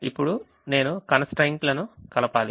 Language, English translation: Telugu, now i have to add the constraints